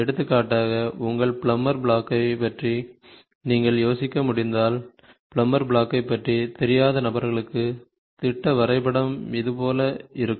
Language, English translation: Tamil, For example, if you can think of your plummer block so those people who are not aware of a plummer block, the schematic diagram looks something like this ok